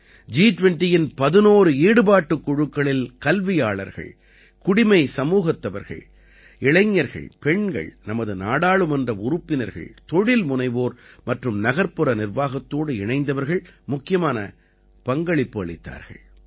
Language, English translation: Tamil, Among the eleven Engagement Groups of G20, Academia, Civil Society, Youth, Women, our Parliamentarians, Entrepreneurs and people associated with Urban Administration played an important role